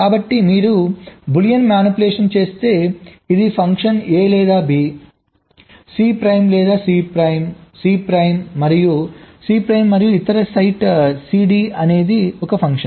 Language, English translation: Telugu, so if you just make a boolean manipulation, this is the function: a or b, c prime and c prime, and the other site, c, d or c d